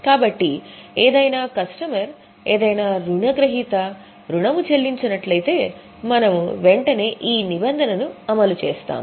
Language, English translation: Telugu, So, any customer, any debtor, if is likely to not pay, we will immediately make a provision